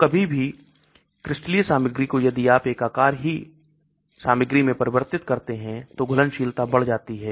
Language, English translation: Hindi, So any crystalline material if you make it into amorphous material, solubility is increased